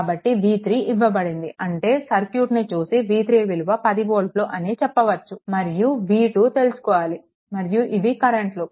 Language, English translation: Telugu, So, v 3 is given, I mean this is that v 3 will be directly you can write 10 volt another is that v 2 right and these are the current